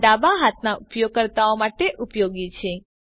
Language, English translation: Gujarati, This is useful for left handed users